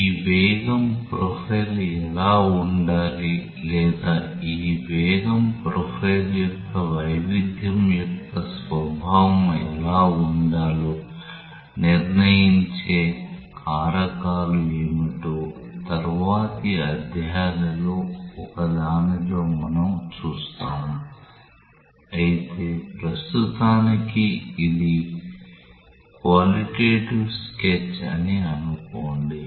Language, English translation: Telugu, In one of later chapters we will see that what are the factors that will determine that what should be this velocity profile or what should be the nature of variation of this velocity profile, but for the time being let us say that this is a qualitative sketch of how the velocity profile varies